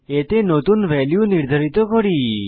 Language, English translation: Bengali, To do so, just assign a new value to it